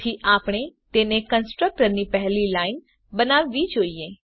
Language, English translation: Gujarati, So we must make it the first line of the constructor